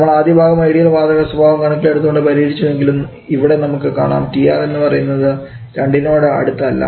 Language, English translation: Malayalam, Though we have solve the first part assuming ideal gas behaviour but here we can see here is not closed to 2 and PR is extremely high